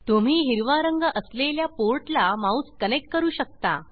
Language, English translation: Marathi, You can connect the mouse to the port which is green in colour